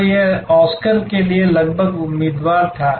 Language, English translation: Hindi, So, it was almost a candidate nominee for the Oscars